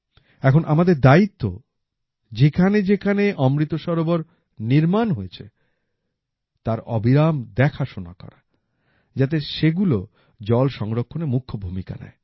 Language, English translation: Bengali, Now it is also our responsibility to ensure that wherever 'AmritSarovar' have been built, they should be regularly looked after so that they remain the main source of water conservation